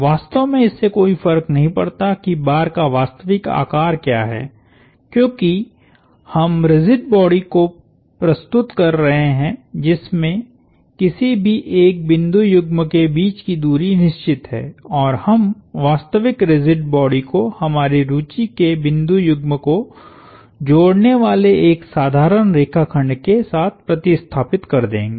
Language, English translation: Hindi, It really does not matter what the actual shapes of the bars are, because we are dealing with rigid bodies, the distance between any one pair of points is fixed and we will take the pair of points of interest to us and replace the real rigid body with a simple line segment joining the pair of points of interest to us